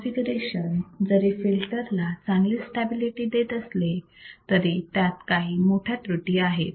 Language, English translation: Marathi, While this configuration provides a good stability to the filter, it has a major drawback